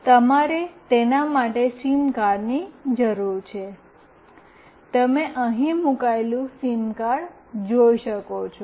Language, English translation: Gujarati, You need a SIM card for it, you can see the SIM card that is put in here